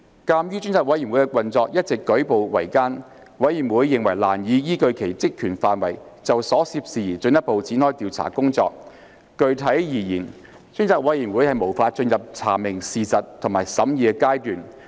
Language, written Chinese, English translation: Cantonese, 鑒於專責委員會的運作一直舉步維艱，委員認為難以依據其職權範圍，就所涉事宜進一步展開調查工作。具體而言，專責委員會無法進入查明事實及審議的階段。, Given the difficult circumstances under which the Select Committee had been operating members found it difficult to further proceed to inquire into the matters pursuant to its terms of reference and specifically to progress to the fact - finding and deliberative stages